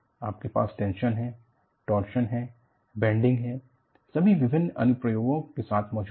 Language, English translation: Hindi, You have tension, you have torsion, bending, all exists together with various proportions